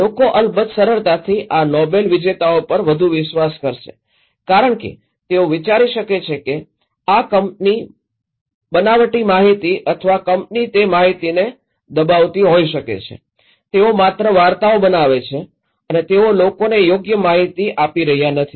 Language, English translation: Gujarati, People, of course, would easily trust more these Nobel laureates because they can think that this company may be fabricating or suppressing the informations, making stories and not and they are not giving the right information to the people